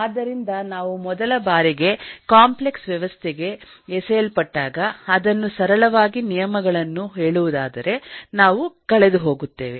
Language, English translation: Kannada, so when we are thrown into a complex system for the first time, uh to, to put it in simple terms, we get lost